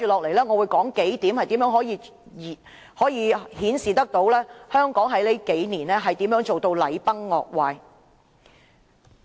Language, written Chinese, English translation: Cantonese, 我接着會提出數點顯示香港近幾年如何禮崩樂壞。, Next I will elaborate in what ways the decorum has been in tatters in recent years